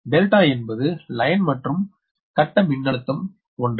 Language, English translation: Tamil, delta is line and phase voltage same right